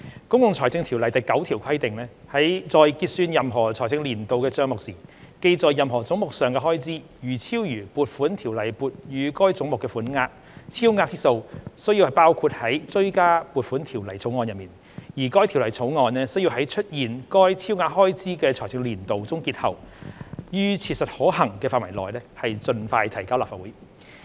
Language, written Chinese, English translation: Cantonese, 《公共財政條例》第9條規定："在結算任何財政年度的帳目時，記在任何總目上的開支如超逾撥款條例撥予該總目的款額，超額之數須包括在追加撥款條例草案內，而該條例草案須在出現該超額開支的財政年度終結後，於切實可行範圍內盡快提交立法會。, Section 9 of the Public Finance Ordinance stipulates that If at the close of account for any financial year it is found that expenditure charged to any head is in excess of the sum appropriated for that head by an Appropriation Ordinance the excess shall be included in a Supplementary Appropriation Bill which shall be introduced into the Legislative Council as soon as practicable after the close of the financial year to which the excess expenditure relates